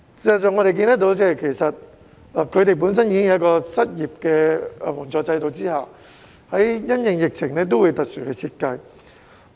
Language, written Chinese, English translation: Cantonese, 事實上，我們看到他們本身已設有失業援助制度，但因應疫情還會有特別的設計。, We can actually see that apart from an employment assistance system that is already in place they have introduced special features in response to the pandemic